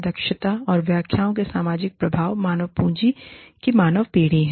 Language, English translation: Hindi, The social effect of the efficiency interpretations are, human generation of human capital